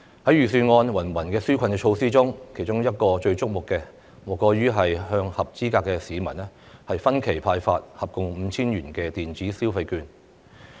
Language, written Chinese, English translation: Cantonese, 在預算案的芸芸紓困措施中，其中最矚目的莫過於向合資格市民分期派發共 5,000 元電子消費券。, Among the wide range of relief measures in the Budget the focus of attention is undoubtedly the issuance of electronic consumption vouchers in instalments with a total value of 5,000 to each eligible member of the public